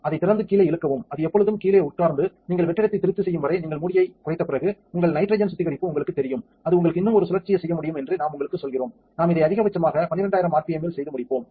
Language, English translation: Tamil, Open it pull down it always sit down and after you lower the lid as long as we are vacuum is satisfied and your nitrogen purge you know tell you that is well could you one more spin and we will do this at the maximum rpm of 12000 and so, on so, on and done